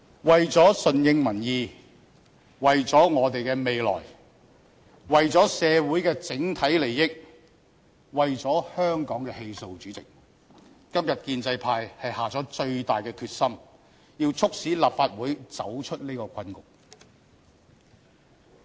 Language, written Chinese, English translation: Cantonese, 為了順應民意，為了我們的未來，為了社會的整體利益，為了香港的氣數，主席，今天建制派是下了最大的決心，要促使立法會走出這個困局。, President for the sake of responding to public notions of our future of the overall interest of society and of the vitality of Hong Kong today the pro - establishment camp has decided with greatest resolution to lead the Legislative Council out of this predicament